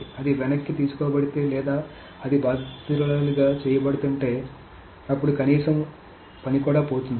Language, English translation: Telugu, So if that is being rolled back or that is being with the victim, then the least amount of work is being lost